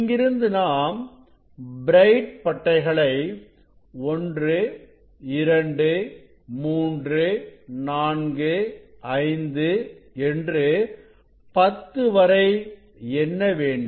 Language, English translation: Tamil, actually, from here we will count the b one 1 2 3 4 5 up to 10